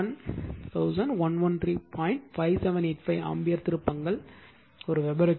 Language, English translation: Tamil, 5785 ampere turns per Weber right